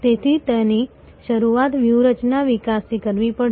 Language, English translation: Gujarati, So, it has to start from the strategy development